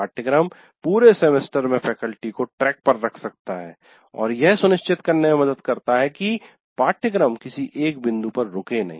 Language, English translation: Hindi, And as I already said, syllabus can also keep track, keep faculty on track throughout the semester and help ensure the course does not stall at any one point